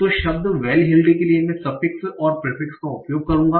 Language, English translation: Hindi, So, for the word valheeled, I will use the suffix and prefix